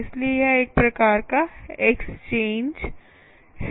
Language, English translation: Hindi, so what are the type of exchanges